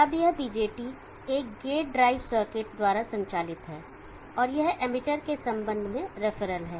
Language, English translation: Hindi, Now this BJT is driven by a gate drive circuit and that is referral with respect to the emitter